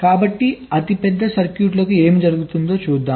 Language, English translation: Telugu, so what will happen for the largest circuits